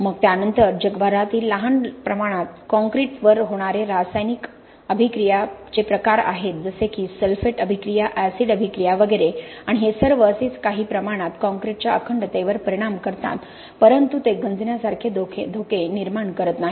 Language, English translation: Marathi, Then you have in smaller locations around the world you have forms of chemical attack like sulphate attack, acid attack and so on and that may affect to some extent the integrity of the concrete but it does not pose the kind of dangers that corrosion does